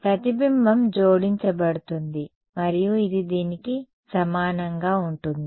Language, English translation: Telugu, The reflection will get added and it will be equal to this